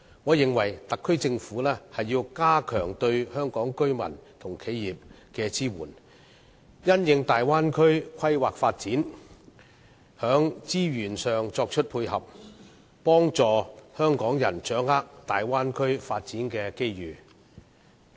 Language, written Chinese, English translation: Cantonese, 我認為特區政府要加強對香港居民和企業的支援，並因應大灣區的規劃發展，在資源上作出配合，幫助香港人掌握大灣區的發展機遇。, I think the Special Administrative Region SAR Government should step up its support for residents and enterprises of Hong Kong and it should make supportive adjustments in resource provision according to the development plan of the Bay Area facilitating the people of Hong Kong in seizing the opportunities arising from the Bay Area development